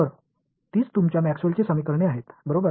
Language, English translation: Marathi, So, those are your Maxwell’s equations right